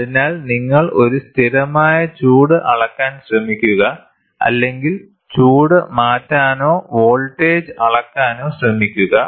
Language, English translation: Malayalam, So, you apply a constant heat try to measure or you try to change the heat, measure the voltage anything is fine